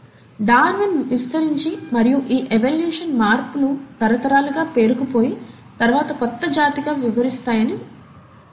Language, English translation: Telugu, Darwin extended and he explains that these evolutionary changes accumulate over generations and then diversify into a newer species